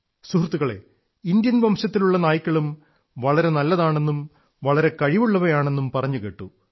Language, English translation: Malayalam, Friends, I have also been told that Indian breed dogs are also very good and capable